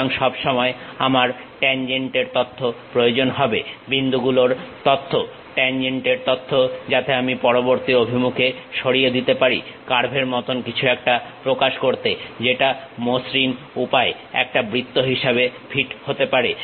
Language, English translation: Bengali, So, all the time I need information about tangent, the point information the tangent information so that I can sweep in the next direction to represent something like a curve which can be fit in a smooth way as circle